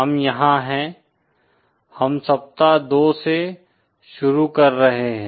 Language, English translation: Hindi, We are here, we are starting with week 2